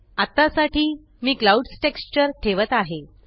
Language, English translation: Marathi, For now I am keeping the Clouds texture